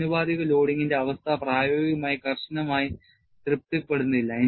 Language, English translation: Malayalam, Condition of proportional loading is not satisfied strictly in practice